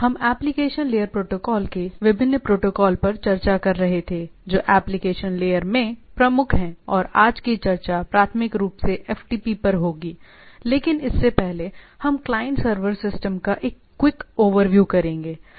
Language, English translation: Hindi, We were discussing on Application Layer protocol or different protocols, which are prominent in the application layer and today’s discussion will be primarily on FTP or, but before that we will have a quick overview of the client server system, right